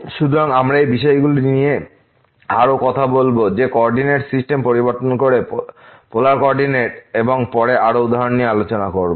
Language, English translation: Bengali, So, we will talk more on these issues that what could be the problem by while changing the coordinate system to polar coordinate and more examples later